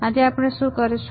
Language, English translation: Gujarati, So, what we will do today